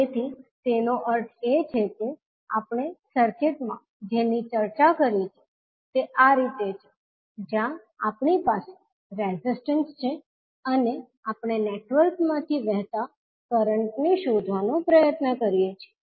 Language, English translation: Gujarati, So that means that what we have discussed in the circuit like this where we have the resistances and we try to find out the current flowing through the network